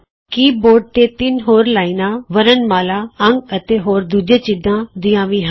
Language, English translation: Punjabi, The keyboard also has three rows of alphabets, numerals and other characters